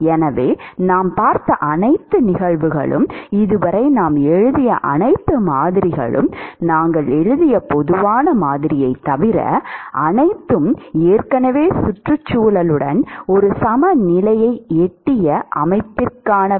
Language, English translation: Tamil, So, all the cases that we have seen, all the models that we have written so far, except for the general model that we wrote, they are all for system where the where it has already reached an equilibrium with the surroundings